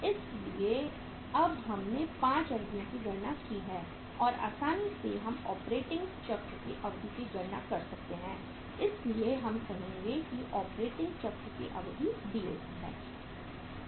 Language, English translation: Hindi, So now we have calculated all the 5 durations and easily we can calculate the duration of the operating cycle so we would say that duration of operating cycle is that is DOC